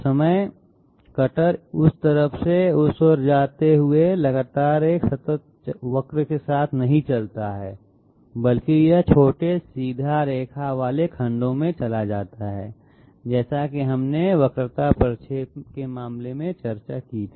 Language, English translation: Hindi, The cutter while moving from the side to that side does not exactly move along a continuous curve, rather it moves in small straight line segments just as we discussed in case of curvilinear interpolator